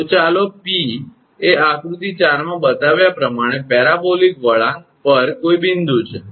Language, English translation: Gujarati, So, let P be any point on the parabolic curve as shown in figure four